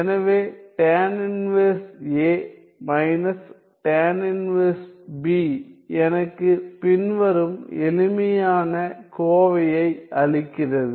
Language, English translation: Tamil, So, tan inverse a minus tan inverse b gives me the following simplified expression